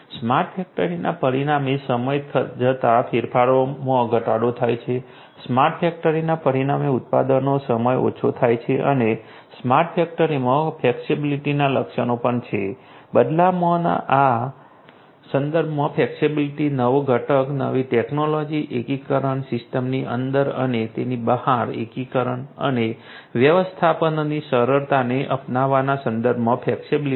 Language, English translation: Gujarati, Smart factory results in reduced change over time, smart factory results in reduced production time and also smart factory has the features of flexibility, flexibility with respect to change over, flexibility with respect to adoption of newer components, newer technologies, integration, integration within and beyond the system and also ease of management